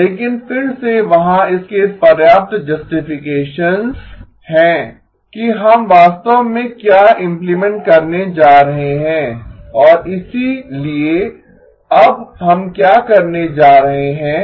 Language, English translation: Hindi, But again there is enough of the justifications for what we are going to be actually implementing and so what are we going to do now